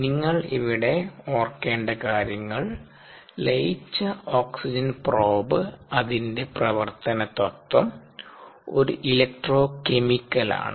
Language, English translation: Malayalam, if you recall the dissolved oxygen probe, ah, it's working principle, it's an electro chemical principle